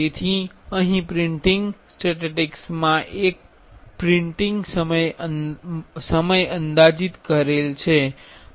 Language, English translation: Gujarati, So, here in the printing statistics estimated a printing time